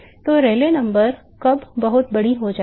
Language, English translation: Hindi, So, when would Rayleigh number become very large